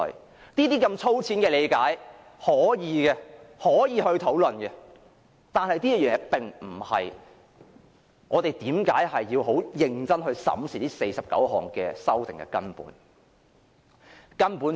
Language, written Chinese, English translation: Cantonese, 我們大可以這樣粗淺地理解和討論，但這並非我們要認真審視這49項修訂的根本原因。, We may interpret and discuss them in such a rough manner but this is not the fundamental reason why we should seriously examine these 49 amendments